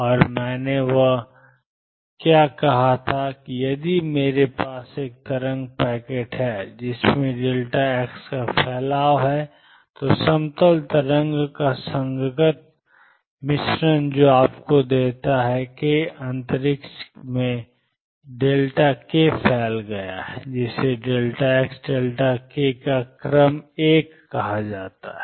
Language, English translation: Hindi, And what I had said there that if I have a wave packet which has a spread of delta x, the corresponding mixture of plane waves that gives you this has delta k spread in k space such that delta x delta k is of the order of one